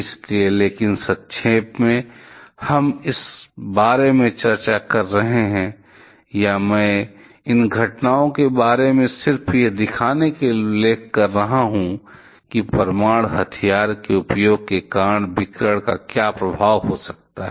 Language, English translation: Hindi, So, but the in a nutshell, we are discussing about, or I am mentioning about all this incidents just to show you what effect radiation can have, because of the use of nuclear weapon